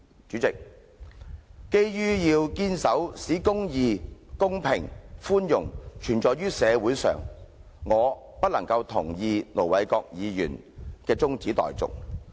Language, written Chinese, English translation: Cantonese, 主席，基於要堅守"使公義、公平及寬容存在於社會上"的原則，我不能同意盧議員的中止待續議案。, President basing on the principle that [t]he law enables the quality of justice fairness and mercy to exist in a society I cannot support the adjournment motion moved by Ir Dr LO